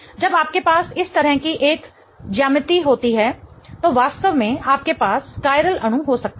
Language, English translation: Hindi, When you have a geometry like this position, you really can have the molecule to be chiral